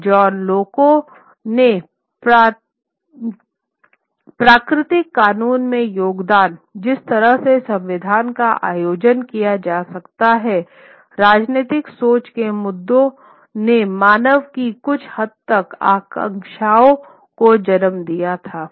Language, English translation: Hindi, And John Locke's contribution to the natural law, the way constitution could be organized, issues of political thinking led to a certain degree of aspirations of the humankind